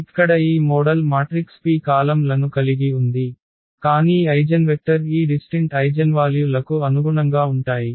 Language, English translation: Telugu, So, here this model matrix P has the columns that are nothing, but the eigenvectors corresponding to these different eigenvalues